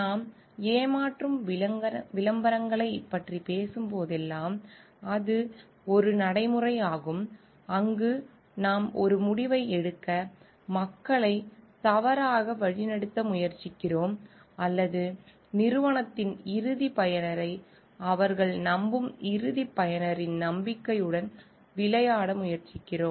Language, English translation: Tamil, Whenever we are talking about deceptive advertising it is a practice, where we are trying to mislead people towards taking a decision or we are trying to play with a belief of the person end user they trust of the end user on the company